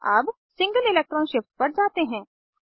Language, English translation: Hindi, Now lets move to single electron shift